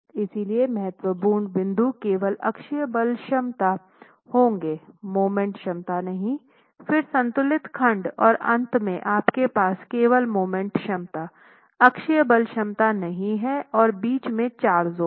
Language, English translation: Hindi, So critical points would be only axial force capacity, no moment capacity, then the balance section, and then finally you have only moment capacity, no axial force capacity, and the four zones in between